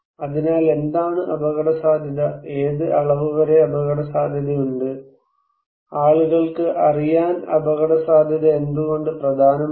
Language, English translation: Malayalam, So what is risky, what extent something is risky, why risky is important for people to know